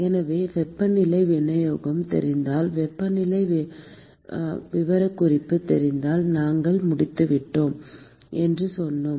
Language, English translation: Tamil, So, we said that if we know the temperature distribution, if we know the temperature profile, we are done